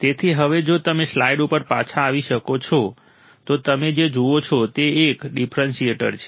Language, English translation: Gujarati, So, now if you can come back on the on the slide, what you see is a differentiator